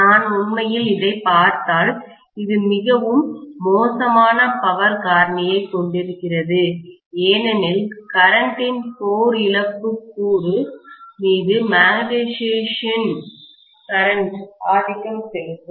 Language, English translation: Tamil, And this actually if I look at, this is going to have a very very bad power factor because the magnetising current will dominate over the core loss component of current